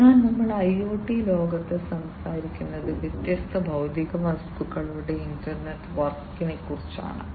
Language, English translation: Malayalam, So, we have we are talking about in the IoT world, we are talking about an internetwork of different physical objects right so different physical objects